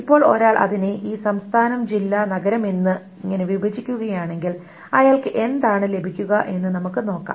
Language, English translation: Malayalam, Now, if one breaks it down to the state district and town state, so if one breaks it down to state district and town state, let us see what does one get